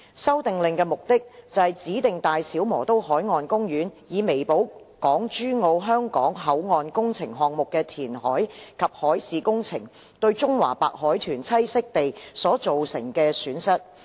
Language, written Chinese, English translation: Cantonese, 《修訂令》的目的，是指定大小磨刀海岸公園，以彌補港珠澳香港口岸工程項目的填海及海事工程對中華白海豚棲息地所造成的損失。, The Amendment Order seeks to designate The Brothers Marine Parks BMP to compensate for the loss of Chinese white dolphin CWD habitat arising from the reclamation and marine works of the Hong Kong - Zhuhai - Macao Bridge HZMB Hong Kong Boundary Crossing Facilities HKBCF project